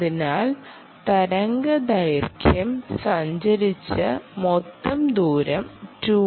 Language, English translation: Malayalam, so two r is the total distance travelled by the wave